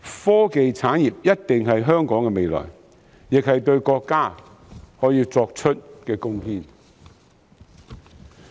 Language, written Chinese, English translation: Cantonese, 科技產業一定是香港的未來，亦是我們可對國家作出的貢獻。, Technology industry is definitely the future of Hong Kong and this is also what we can contribute to our country